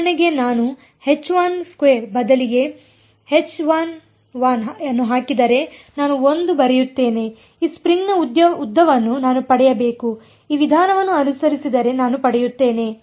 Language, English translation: Kannada, For example, if I put H 1 instead of H 1 2 I write 1 I should get the length of this string which I will get if I follow this recipe